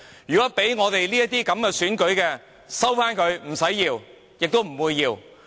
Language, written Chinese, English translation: Cantonese, 如果是給我們這些選舉，請收回，我們不會要。, If this is what will be granted to us please take it back for we do not want it